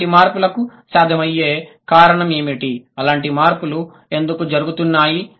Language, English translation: Telugu, And what could be the possible reason why such changes are happening